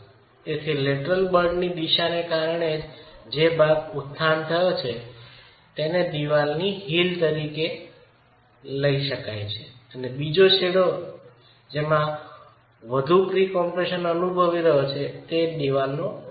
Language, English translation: Gujarati, So, the portion that has undergone uplift because of the direction of the lateral force, we refer to that as the heel of the wall and the other end which is now experiencing higher pre compression is the toe of the wall